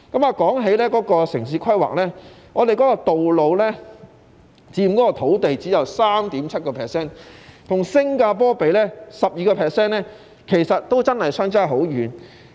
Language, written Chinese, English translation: Cantonese, 說到城市規劃，本港道路佔土地只有 3.7%， 與新加坡的 12% 相比，真的相差很遠。, Speaking of urban planning roads in Hong Kong constitute a mere 3.7 % of the land area . Comparing to 12 % in Singapore there is really a huge gap between us